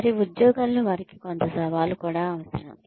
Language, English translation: Telugu, They also need some challenge in their jobs